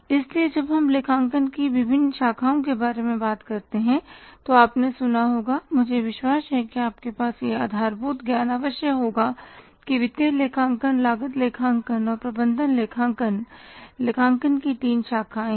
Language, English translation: Hindi, So, when we talk about the different branches of accounting you must have heard about you must have this much of the background I am sure that there are the three branches of accounting financial accounting cost accounting and management accounting